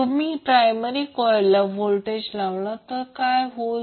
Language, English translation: Marathi, When you apply voltage in the primary coil, so what will happen